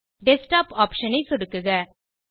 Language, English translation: Tamil, Now click on the Desktop option